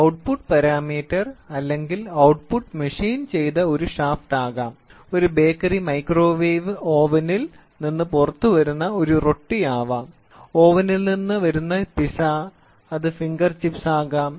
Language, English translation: Malayalam, So, the output parameter, the output can be even a shaft which is machined the product which comes out of a bread which is coming out of a bakery microwave oven, pizza coming out of an oven, it can be there or a finger chips coming out